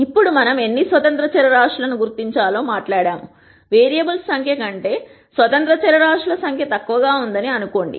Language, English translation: Telugu, Now that we have talked about identifying how many independent variables are there; assume that the number of independent variables are less than the number of variables